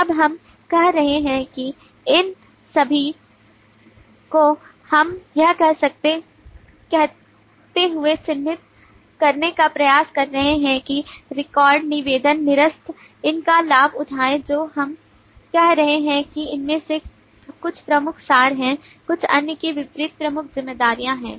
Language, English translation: Hindi, now we are saying that of all these we are trying to mark that these responsibilities of say record, request, cancel, avail these we are saying are more key abstractions via these are key responsibilities in contrast to some of the others